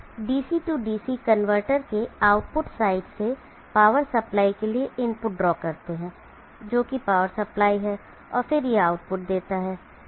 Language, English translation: Hindi, Let us draw the input to the power supply from the output side of the DC DC converter which is the power supply and then it provides an output